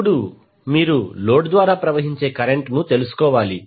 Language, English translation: Telugu, Now, next is you need to find out the current which is flowing through the load